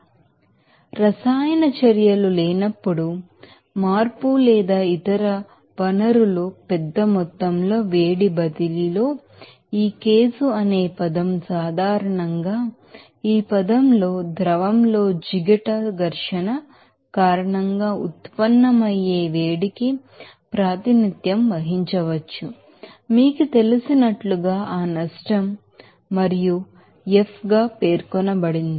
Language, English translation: Telugu, So, the term this case in the absence of chemical reactions, the change or other sources large amount of heat transfer wise generally we can represented heat generated due to the viscous friction in the fluid in such situations this term, you know as regarded as you know, that loss and denoted as F